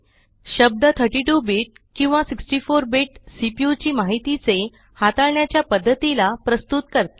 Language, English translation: Marathi, The terms 32 bit and 64 bit refer to the way the CPU handles information